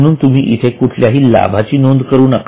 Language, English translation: Marathi, So, you don't write any gain there